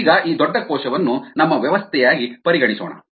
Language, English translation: Kannada, now let us consider this large cell as a system